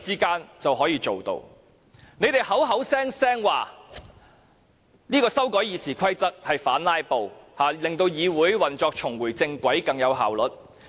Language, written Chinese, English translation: Cantonese, 建制派聲稱修改《議事規則》是要反"拉布"，令議會運作重回正軌，更有效率。, The pro - establishment camp claims that it attempts to amend RoP for the purpose of countering filibusters so as to put the operation of the legislature on the right track and improve its efficiency